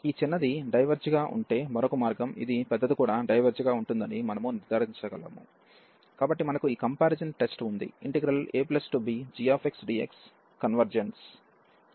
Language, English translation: Telugu, The other way around if this smaller one diverges, we can conclude that this the larger one will also diverge, so we have this comparison test